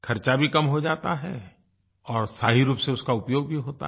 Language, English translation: Hindi, The expenses are reduced as well, and the gift is well utilized too